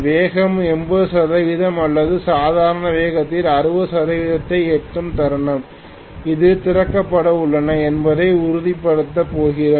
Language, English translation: Tamil, The moment the speed reaches maybe 80 percent or 60 percent of the normal speed we are going to essentially make sure that that is opened